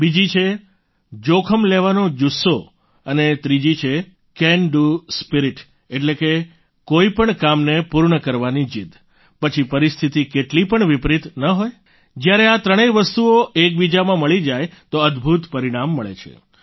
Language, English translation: Gujarati, The second is the spirit of taking risks and the third is the Can Do Spirit, that is, the determination to accomplish any task, no matter how adverse the circumstances be when these three things combine, phenomenal results are produced, miracles happen